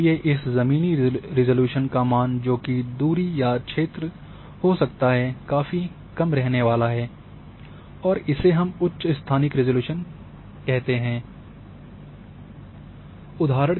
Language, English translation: Hindi, And therefore, your ground resolution values are going to be distance or area is going to be small, what we call it as a higher spatial resolution